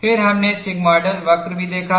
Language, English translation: Hindi, And we also saw sigmoidal curve